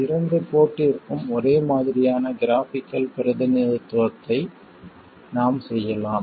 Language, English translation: Tamil, We can make a similar graphical representation for the two port